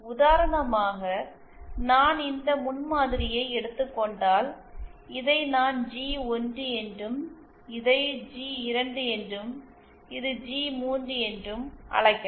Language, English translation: Tamil, For example if I take this prototype, I can call this as G1, this as G2, this as G3